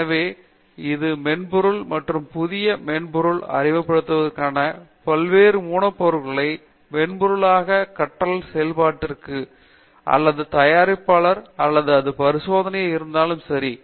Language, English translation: Tamil, So, whether it is a software and induction of the new comers into the learning process for different softwares or whether it is the fabrication or whether it is experimentation